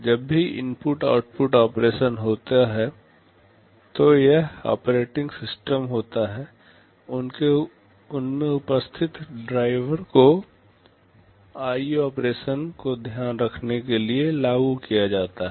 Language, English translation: Hindi, Whenever there is an input output operation it is the operating system, the drivers therein who will be invoked to take care of the IO operations